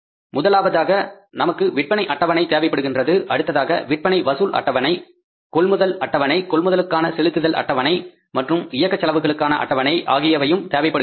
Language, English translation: Tamil, First we required the sales schedules, sales payment sales collection schedule, purchase schedule, payment for purchase schedule, then operating expenses